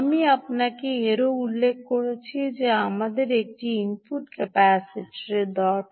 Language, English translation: Bengali, i also mention to you that we need an input capacitor and that is seen this c out